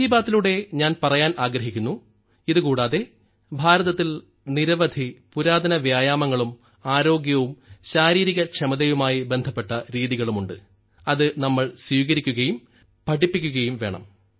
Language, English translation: Malayalam, Through 'Mann Ki Baat' I would like to tell you that apart from this, there are many ancient exercises in India and methods related to health and fitness, which we should adopt and teach further in the world